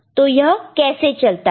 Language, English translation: Hindi, So, how does it work